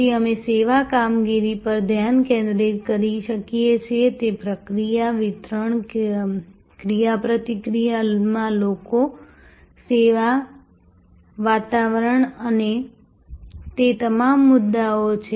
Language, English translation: Gujarati, We then we can look at the focus on service operations, that is the process, the delivery, the people in interaction, the service environment and all of those issues